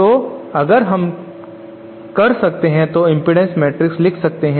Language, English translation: Hindi, So if we can if we can write down the impedance matrix